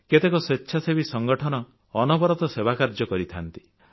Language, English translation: Odia, Many volunteer organizations are engaged in this kind of work